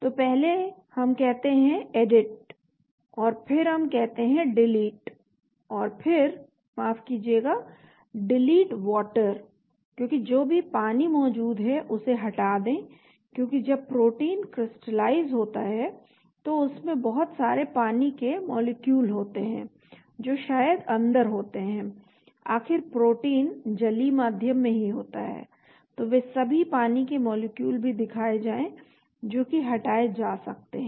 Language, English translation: Hindi, So first we say Edit and then we say Delete and then sorry delete water so all the water that is present because when the protein is crystallized there are lot of water molecules that maybe inside, after all protein is in aqueous, so all the water molecules also be shown which may get deleted